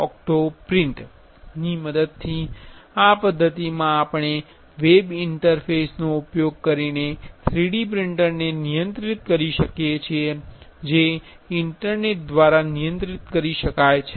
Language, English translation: Gujarati, In this method using OctoPrint we can control the 3D printer using a web interface which is which can be controlled through internet